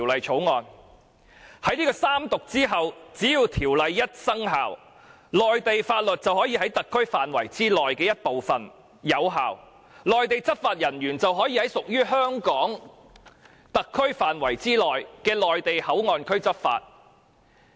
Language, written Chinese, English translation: Cantonese, 在三讀後，只要《條例草案》生效，內地法律便可以在特區範圍內的一部分有效，讓內地執法人員在屬於香港特區範圍內的內地口岸區執法。, After the Third Reading if the Bill is enacted Mainland laws will take effect in certain parts of the SAR and hence Mainland law enforcement agents can enforce Mainland laws at the Mainland Port Area within Hong Kong SARs territory